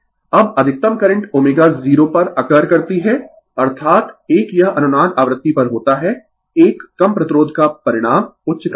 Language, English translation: Hindi, Now, maximum current occurs at omega 0 because, that is at resonance frequency right, a low resistance results in a higher current